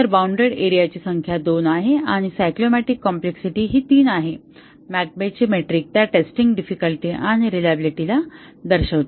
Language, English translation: Marathi, So, the number of bounded areas is 2 and the cyclomatic complexity is 3, the McCabe’s metric it provides the testing difficulty and the reliability